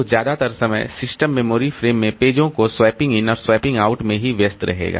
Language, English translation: Hindi, So, most of the time the system will be busy doing this swapping in and swapping out of the memory frames, the pages in the memory frame